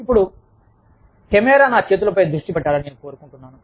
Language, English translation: Telugu, Now, i would like the camera to focus, on my hands